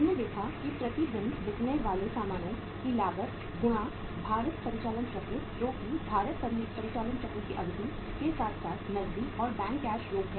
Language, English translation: Hindi, So we saw that, that was a gross cost of goods sold per day multiplied by the weighted operating cycle that the duration of the weighted operating cycle plus cash and bank balances